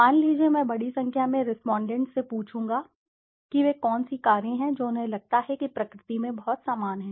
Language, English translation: Hindi, Suppose, I would ask a large number of respondents and ask them which are the cars that they feel are very similar in nature